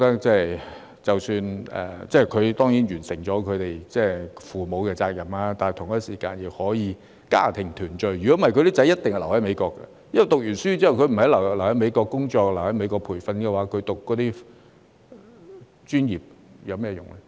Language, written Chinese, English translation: Cantonese, 最少他會覺得已盡父母的責任，同時亦可以家庭團聚；否則，他的兒子一定會留在美國，因為畢業後不留在美國工作及培訓，他們讀那些專業又有甚麼用？, At least he will feel that he has fulfilled his parental responsibility and can have a family reunion; otherwise his sons will definitely stay in the United States because if they do not stay in the United States for work and training after graduation what is the point of studying those professions?